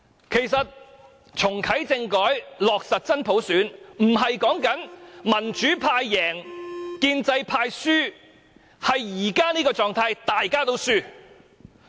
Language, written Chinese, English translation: Cantonese, 其實，"重啟政改，落實真普選"，不是說民主派贏，建制派輸，而是現時這種狀態，大家都輸。, In fact reactivating constitutional reform and implementing universal suffrage does not mean that the pro - democracy camp wins and the pro - establishment camp loses under the current situation both sides are losers